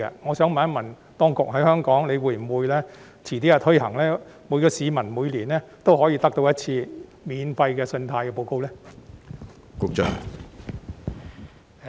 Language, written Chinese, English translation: Cantonese, 我想問，當局日後會否在香港推行相關措施，讓每位市民每年免費索取信貸報告一次？, My question is Will the authorities introduce the relevant measure in Hong Kong to allow each member of the public to obtain one free credit report every year?